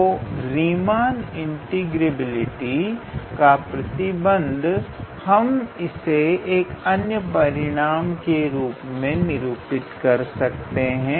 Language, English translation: Hindi, So, condition of Riemann integrability, so we can formulate this in terms of another small result